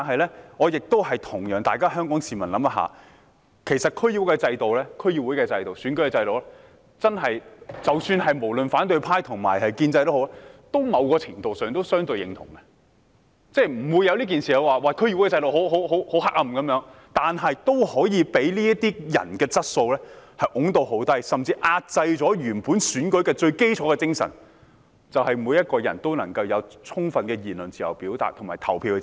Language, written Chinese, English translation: Cantonese, 不過，我想與市民一起想想，其實對於區議會的選舉制度，無論反對派或建制派在某程度上都是相對認同的，也都不會說區議會制度很黑暗。然而，它也可以被這些人的質素推到很低，甚至壓制了原本選舉的最基礎精神，也就是每個人都能夠有充分的言論、表達和投票自由。, But I would like the public to join me in thinking about it . Actually the electoral system of DCs is to a certain extent considered relatively agreeable to both the opposition camp and the pro - establishment camp; they will not say that the DC system is shady and yet its quality can be taken down to a very low standard by these people and worse still even the most fundamental spirit originally underpinning the election has been suppressed namely every person enjoying full freedom of speech of expression and to vote